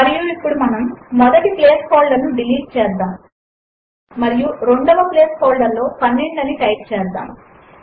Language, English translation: Telugu, Let us select the first one: a is equal to b And we will delete the first placeholder and type 12 in the second place holder